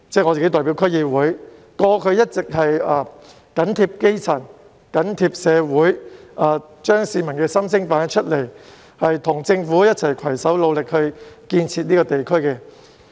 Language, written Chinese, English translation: Cantonese, 我自己亦身兼區議會議員，過去一直緊貼基層和社會，反映市民心聲，與政府攜手努力建設我所屬的地區。, Over all these years I have followed closely the situation of grass - roots people and the community and relayed the inner thoughts of people while also joining hands with the Government in building the community to which I belong